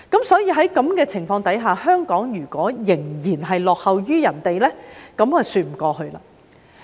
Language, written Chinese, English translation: Cantonese, 所以，在此情況下，如果香港仍然落後於其他人，便說不過去。, Therefore under such circumstances it would be unacceptable for Hong Kong to still lag behind others